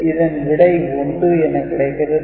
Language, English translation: Tamil, So, output will be 1